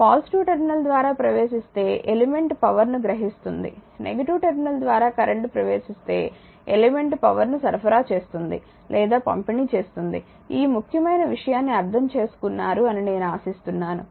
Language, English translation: Telugu, So, it is plus vi, current entering through the negative terminal it is minus vi current entering through the positive terminal element is absorbing power, current entering through the negative terminal element is supplying or delivering power, I hope you have understood this right this is require right